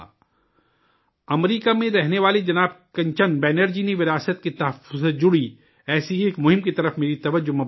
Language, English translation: Urdu, Shriman Kanchan Banerjee, who lives in America, has drawn my attention to one such campaign related to the preservation of heritage